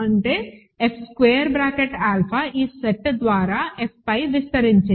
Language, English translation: Telugu, That means, F square bracket alpha is spanned by this set over F